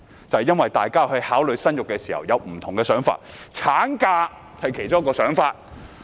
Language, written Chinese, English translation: Cantonese, 正因為大家考慮生育時，會有不同的想法，產假是其中一個考慮因素。, It is precisely because when people consider having a child they have different thoughts and maternity leave is one of the considerations